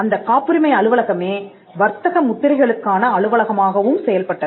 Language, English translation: Tamil, When we started off, we created a patent office and the patent office also acted as the trademark office